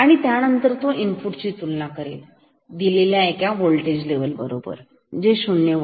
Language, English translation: Marathi, So, this compares the input with only one voltage level which is 0 volt